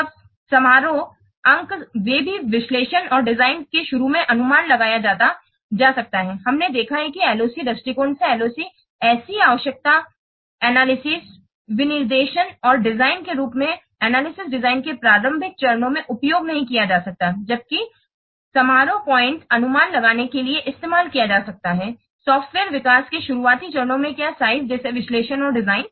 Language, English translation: Hindi, We have seen that LOC by LOC approach cannot be used in the early stages of analysis design such as requirement analysis specification and design, whereas function point can be used, can be used to estimate the what size in early stages of software development such as analysis and design